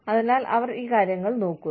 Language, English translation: Malayalam, So, they are looking, at these things